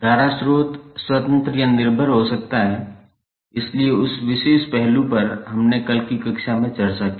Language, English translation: Hindi, Current source may be the independent or dependent, so that particular aspect we discussed in yesterday’s class